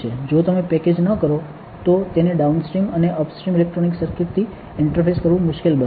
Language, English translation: Gujarati, If you do not package, it will be difficult to interface it with a downstream and upstream electronic circuits